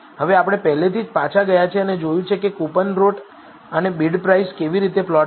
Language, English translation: Gujarati, Now, we have already gone back and seen how to plot coupon rate and bid price